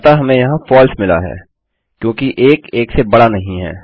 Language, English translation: Hindi, So we have got false here because 1 is not greater than 1